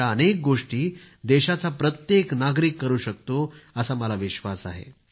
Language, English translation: Marathi, And I do believe that every citizen of the country can do this